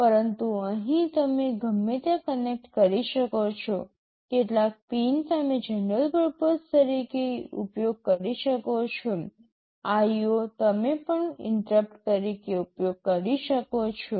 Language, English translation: Gujarati, But, here you can connect anywhere, some pin you can use as a general purpose IO you can also use as interrupt